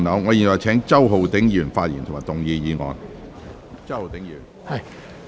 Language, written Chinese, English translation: Cantonese, 我現在請周浩鼎議員發言及動議議案。, I now call upon Mr Holden CHOW to speak and move the motion